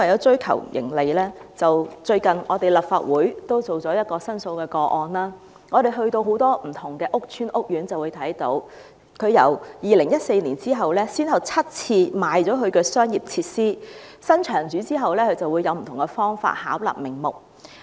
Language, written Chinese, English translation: Cantonese, 最近立法會處理了一宗申訴個案，我們到訪很多屋邨和屋苑，看到領展由2014年起，先後7次出售其商業設施，而新場主以不同方法巧立名目。, The Legislative Council has recently handled a complaint case . In this connection we have paid visits to many public housing estates and housing courts . We saw that Link REIT has sold its commercial facilities on seven occasions since 2014 and the new venue owners have resorted to all sorts of pretexts in operation